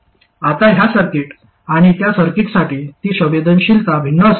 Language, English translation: Marathi, Now that sensitivity will be different for this circuit and that circuit